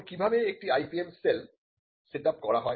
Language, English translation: Bengali, Now, how and IPM cell is setup